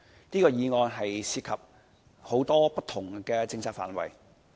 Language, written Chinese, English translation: Cantonese, 這項議案涉及很多不同的政策範圍。, This motion involves many different policy areas